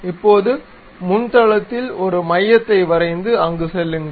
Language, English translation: Tamil, Now, sketch a centre on a plane front plane, go there